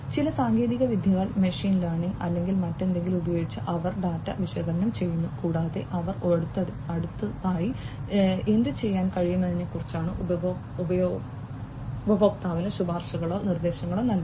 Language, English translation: Malayalam, They analyze the data using certain techniques maybe, you know, machine learning or whatever and they will be making recommendations or suggestions to the user about what they could do next, alright